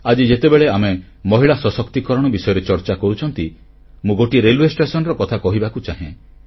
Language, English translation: Odia, Today, as we speak of women empowerment, I would like to refer to a railway station